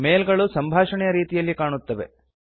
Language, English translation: Kannada, The mails are displayed as a conversation